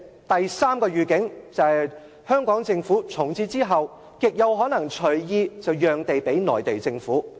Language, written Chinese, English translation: Cantonese, 第三個預警，就是香港政府從此之後極有可能隨意讓地給內地政府。, The third heads - up the Hong Kong Government will from now on be awfully likely to surrender a piece of land to the Mainland Government arbitrarily